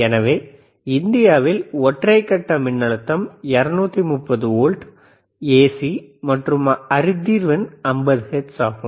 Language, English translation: Tamil, So, the voltage in India is single phase and 230 volts AC, and the line frequency is 50 hertz